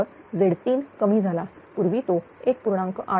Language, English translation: Marathi, So, Z 3 it has decreased one, earlier it was 1